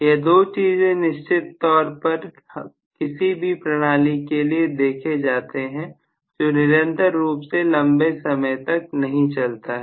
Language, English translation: Hindi, These are the two concerns we will have for any system, which is not really going to be running on a continuous basis